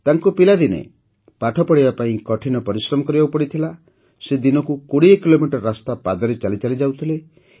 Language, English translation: Odia, In his childhood he had to work hard to study, he used to cover a distance of 20 kilometers on foot every day